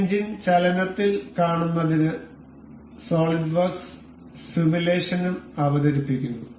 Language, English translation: Malayalam, To see this engine in motion, solidworks also features this simulation